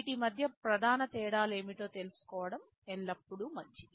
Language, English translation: Telugu, It is always good to know what are the main differences between these